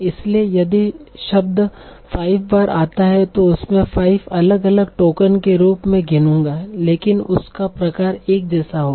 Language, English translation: Hindi, So if a word occurs five times I will count it as five different tokens but the same type